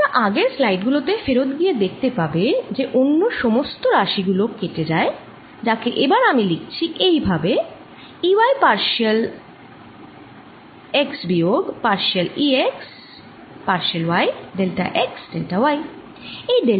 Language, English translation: Bengali, you can go to back to the previous slides and see that every other, all other terms cancel, which i am going to write to as e y, partial x minus partial e x, partial y, delta x, delta y